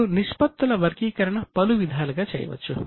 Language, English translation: Telugu, Now, ratios can be classified in variety of ways